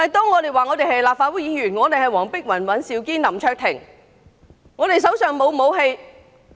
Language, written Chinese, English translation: Cantonese, 我們說我們是立法會議員黃碧雲、尹兆堅及林卓廷，手上並無武器。, When we said we were Legislative Council Members Helena WONG Andrew WAN and LAM Cheuk - ting we were unarmed